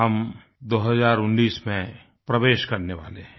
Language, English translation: Hindi, We shall soon enter 2019